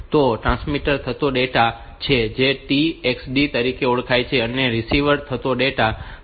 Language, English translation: Gujarati, So, this is transmit data which is the known as TX D and this is the received data